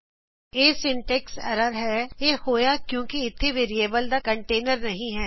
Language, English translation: Punjabi, This is a syntax error it occured, as there is no container of variable